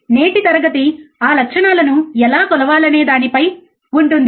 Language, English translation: Telugu, And the today’s class is on how to measure those characteristics